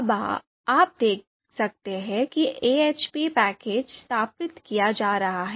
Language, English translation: Hindi, So you can see that now AHP package is being installed